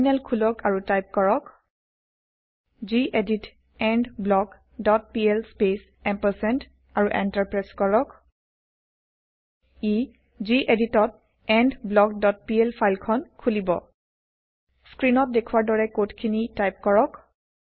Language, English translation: Assamese, Open the Terminal and type gedit endBlock dot pl space ampersand and press Enter This will open the endBlock dot pl file in gedit